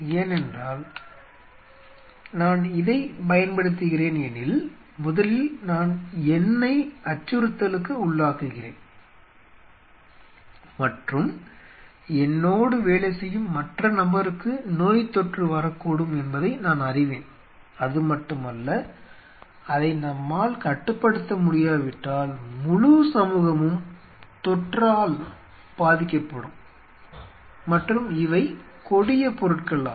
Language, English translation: Tamil, So, first of all I am putting myself into a threat I may you know get the infection the other person who are working they may get an infection and not only that and if we cannot contain it then the whole area the whole community will get an infection and these are deadly stuff